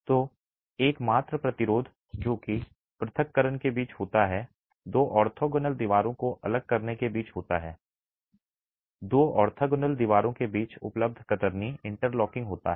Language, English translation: Hindi, So, the only resistance that is there between separation between the two orthogonal walls from separating is the sheer interlocking available between the two orthogonal walls